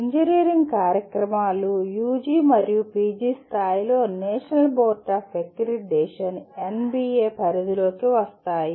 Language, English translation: Telugu, The engineering programs, both at UG and PG level come under the purview of National Board of Accreditation NBA